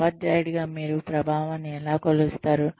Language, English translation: Telugu, How do you measure effectiveness as a teacher